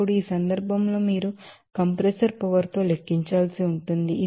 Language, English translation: Telugu, Now, in this case you have to calculate with a compressor power